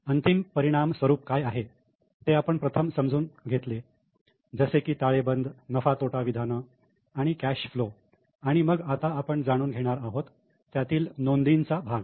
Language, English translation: Marathi, We have first understood what is a final output in the form of balance sheet, then P&L, then cash flow flow and now we are going to understand what is a recording part of it